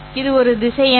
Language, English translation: Tamil, The result is actually a vector